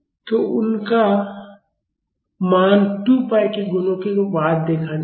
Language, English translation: Hindi, So, their values will be seen after multiples of 2 pi